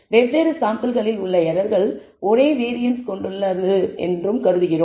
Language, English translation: Tamil, We also assume that the errors in different samples have the same variance